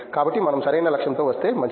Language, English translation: Telugu, So, if better if we come with proper goal